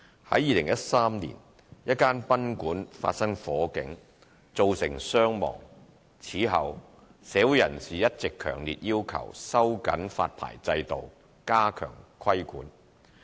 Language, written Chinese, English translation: Cantonese, 在2013年，一間賓館發生火警，造成傷亡。此後，社會人士一直強烈要求收緊發牌制度，加強規管。, In 2013 arising from a fire incident which caused casualties in a guesthouse there had been strong calls for tightening up the licensing regime and strengthening regulatory efforts